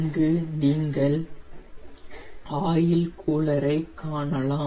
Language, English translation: Tamil, here you can see the oil cooler